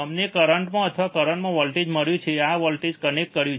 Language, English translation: Gujarati, We have found the current or the voltage at the in first we have connected this circuit